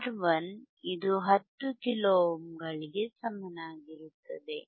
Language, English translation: Kannada, R 1 equals to 10 kilo ohms;